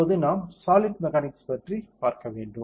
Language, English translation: Tamil, Now, we have to see solid mechanics